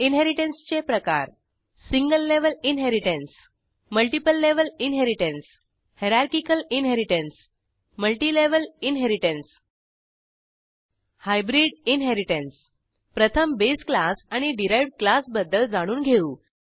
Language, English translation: Marathi, Types of Inheritance Single level inheritance Multiple level inheritance Hierarchical Inheritance Multilevel inheritance Hybrid Inheritance First let us know about the base class and the derived class